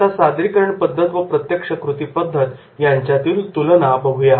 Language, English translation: Marathi, Second, comparing the presentation methods to the hands on methods